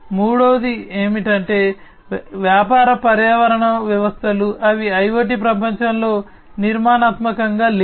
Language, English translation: Telugu, The third one is that the business ecosystems, they are not structured in the IoT world